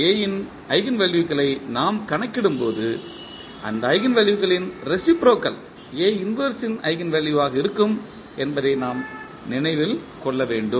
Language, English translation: Tamil, We have to keep in mind that when we calculate the eigenvalues of A the reciprocal of those eigenvalues will be the eigenvalues for A inverse